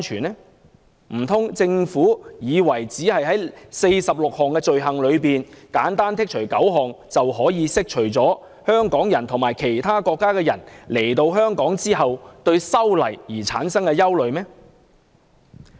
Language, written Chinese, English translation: Cantonese, 難道政府以為只要在46項罪類中剔除9項，便可以釋除香港人及其他國家來港人士對修例的憂慮？, Does the Government think that it can dispel the doubts among the people of Hong Kong and visitors from other countries about the amendments simply by eliminating nine out of the 46 items of offences?